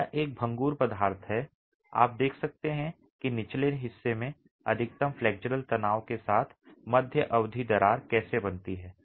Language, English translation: Hindi, This is a brittle material and you can see how the midspan crack forms with maximum flexual tension at the bottom